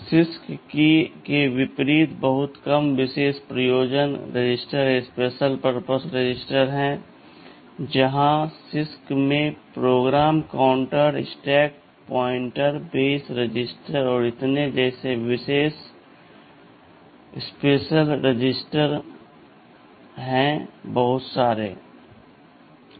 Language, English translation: Hindi, There are very few special purpose registers unlike CISC Architectures where there are lot of special purpose registers like program counters, stack pointer, base registers, and so on and so forth right